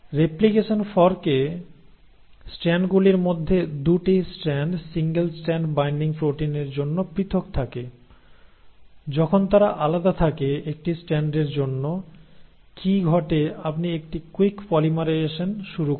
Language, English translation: Bengali, Now in that replication fork for one of the strands, the 2 strands remain separated thanks to the single strand binding proteins, once they remain separated for one of the strands, what happens is you start having a quick polymerisation